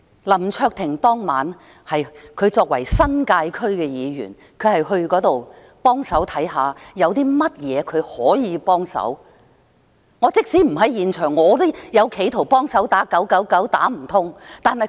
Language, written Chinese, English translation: Cantonese, 林卓廷作為新界區議員，當晚他到現場看看有甚麼可以幫忙，我即使不在現場，我也企圖幫忙打 999， 可惜打不通。, Mr LAM Cheuk - ting is also a District Member of the New Territories . He went to the scene that night to see what he could help . Even I was not at the scene I also tried to help by dialling 999 but I just could not get through